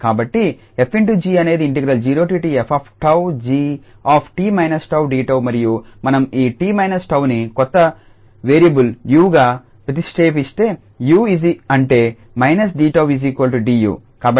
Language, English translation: Telugu, So, f star g is 0 to f tau and g t minus tau dt and if we substitute this t minus tau as new variable u that means minus d tau as tu